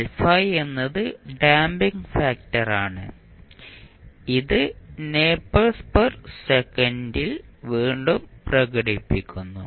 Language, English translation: Malayalam, Alpha is the damping factor which is again expressed in nepers per second